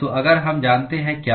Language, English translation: Hindi, So, if we know what